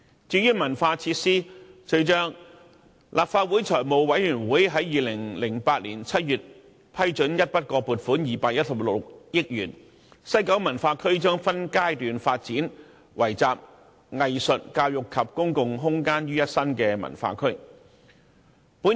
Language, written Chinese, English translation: Cantonese, 至於文化設施，隨着立法會財務委員會在2008年7月批准一筆過撥款216億元，西九文化區將分階段發展成為集藝術、教育及公共空間於一身的文化區。, As for cultural facilities with the approval of an upfront endowment of HK21.6 billion by the Finance Committee of the Legislative Council in July 2008 the West Kowloon Cultural District WKCD will be developed in phases to turn the area into a cultural quarter combining art education and public space